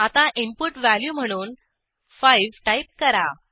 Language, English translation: Marathi, Now I will enter 5 as the input value